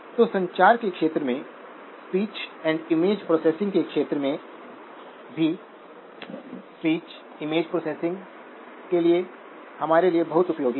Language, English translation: Hindi, So in the area of communications, in the area of speech and image processing also very useful for us to speech, image processing